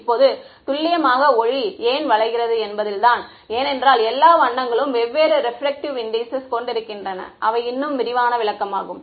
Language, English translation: Tamil, Now, the precise is in why light gets bent is because all the colors have different refractive indices that is the more detailed explanation